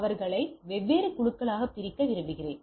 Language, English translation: Tamil, I want to segregate them into different groups right